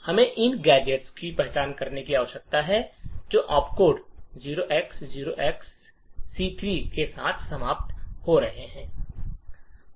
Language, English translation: Hindi, So, what we need to do is to identify gadgets which are ending with the opt code 0xc3